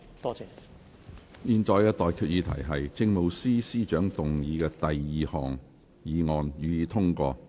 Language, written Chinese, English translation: Cantonese, 我現在向各位提出的待決議題是：政務司司長動議的第二項議案，予以通過。, I now put the question to you and that is That the second motion moved by the Chief Secretary for Administration be passed